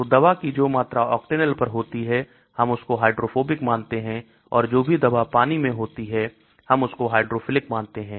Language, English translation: Hindi, So whatever amount of drug in the Octanol we consider it to be hydrophobic and whatever drug in the water layer we consider hydrophilic